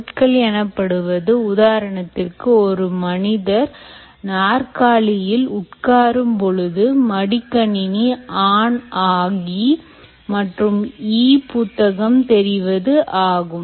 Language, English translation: Tamil, for instance, ah, when the person sits on this chair, the laptop switches on and opens the e book